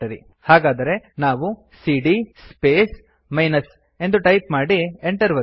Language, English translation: Kannada, So if we run cd space minus and press enter